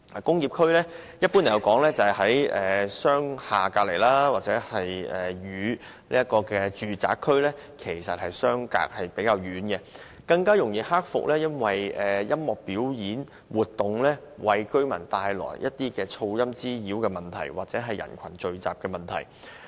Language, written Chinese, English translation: Cantonese, 工業區一般在商廈旁邊，與住宅區相隔較遠，更容易克服因為音樂表演為居民帶來的聲浪滋擾或人群聚集的問題。, Industrial districts are generally located near commercial buildings and far away from residential developments so it is easy to overcome the problems of noise disturbance and crowd gathering associated with music performances